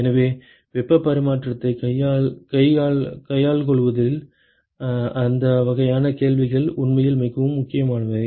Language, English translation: Tamil, So, those kinds of questions are actually very important in terms of handling heat transfer